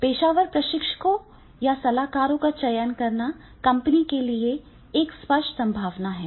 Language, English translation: Hindi, The selecting professional trainers or consultants is one obvious possibility for the companies